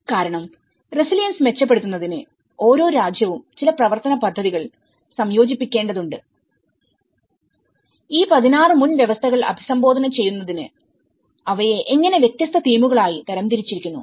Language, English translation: Malayalam, Because in order to improve the resilience each and every nation has to incorporate certain action plans in order to address these 16 prerequisites and how these are grouped into different themes